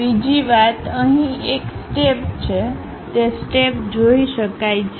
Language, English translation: Gujarati, Second thing, we have a step; the step can be clearly seen